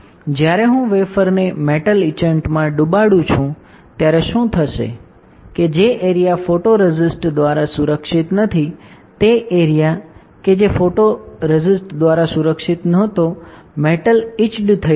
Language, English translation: Gujarati, When I dip the wafer in metal etchant, what will happen that the area which is not protected by photoresist; the area which is not protected by photoresist, metal will get etched